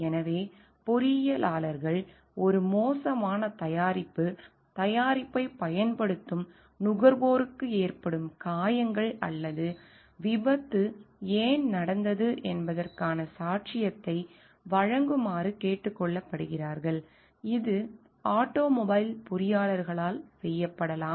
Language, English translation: Tamil, So, engineers therefore, are ask to give a testimony for a bad product, injuries caused to the consumers using the product, or in case of why the accident happened which could be done by automobile engineers